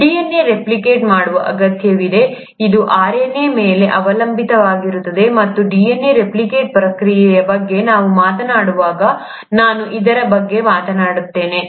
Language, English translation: Kannada, The DNA needs to replicate, it does depend on RNA, and I’ll talk about this, when we talk about the process of DNA replication